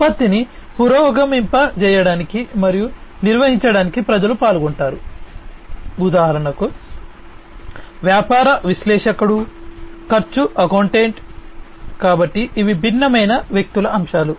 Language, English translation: Telugu, People aspects many people are involved to progress and maintain a product, example a business analyst, a cost accountant, so these are the different people aspects